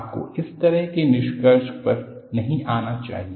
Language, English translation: Hindi, You should not come to such kind of a conclusion